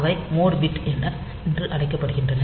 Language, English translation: Tamil, So, they are called mode bit